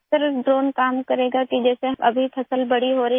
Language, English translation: Hindi, Sir, the drone will work, when the crop is growing